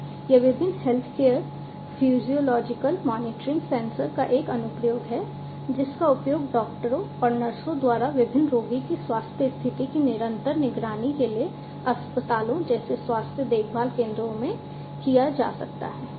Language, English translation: Hindi, So, this is a an application of different healthcare physiological monitoring sensors, which can be used in the health care centers health care centers such as hospitals etc for continuously monitoring the health condition of different patient by the doctors, nurses and so on